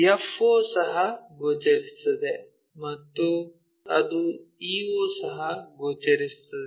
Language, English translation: Kannada, f to o also visible and that e point to o also visible